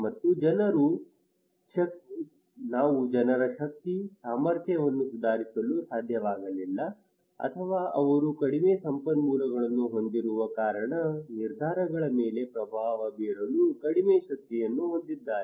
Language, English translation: Kannada, And also we could not make improve the peoples power, capacity or also they have less power to influence the decisions because they have less resources